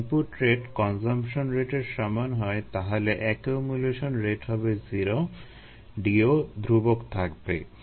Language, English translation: Bengali, and if the rate of input equals the rate of consumption, then the accumulation rate is zero